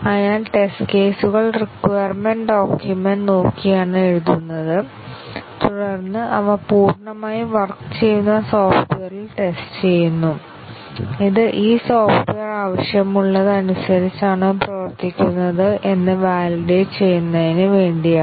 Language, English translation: Malayalam, So, the test cases are written by looking at the requirements document and then they are tested on the fully working software to validate whether the software that has been developed is according to what was required for this software